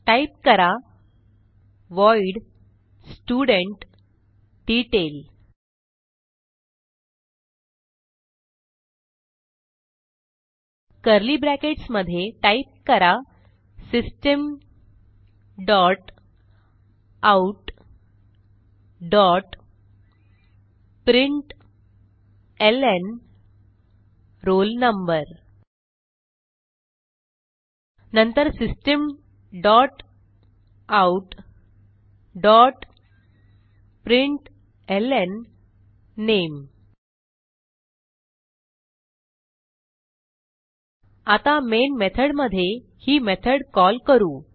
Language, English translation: Marathi, So type void studentDetail() Within curly brackets type System dot out dot println roll number Then System dot out dot println name Now in Main method we will call this method